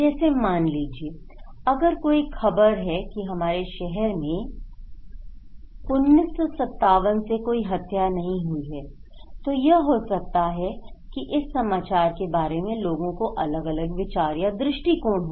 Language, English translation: Hindi, Like, if there is a news that our town has not had a murder since 1957, there could be this news, simply this news or this idea of risk, people have two different perspective